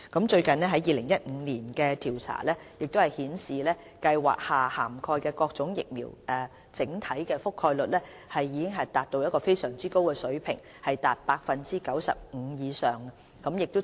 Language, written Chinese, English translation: Cantonese, 最近於2015年進行的調查顯示，計劃下涵蓋的各種疫苗的整體覆蓋率已達非常高水平，達 95% 以上。, The most recent survey conducted in 2015 indicated that the overall coverage of various vaccines under HKCIP had reached as high as above 95 %